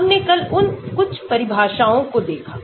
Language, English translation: Hindi, we looked at the some of those definitions yesterday